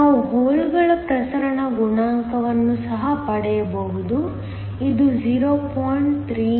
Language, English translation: Kannada, We can also get the diffusion coefficient for the holes, is 0